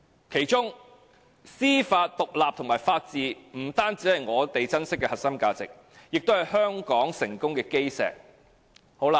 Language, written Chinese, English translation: Cantonese, 其中，司法獨立及法治不單是我們珍惜的核心價值，也是香港成功的基石。, Among them judicial independence and the rule of law are not only our cherished core values but also the cornerstone of Hong Kongs success